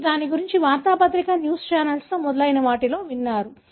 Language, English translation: Telugu, You must have heard about it in the newspaper, news channels and so on